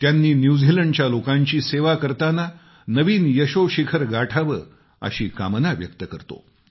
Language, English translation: Marathi, All of us wish he attains newer achievements in the service of the people of New Zealand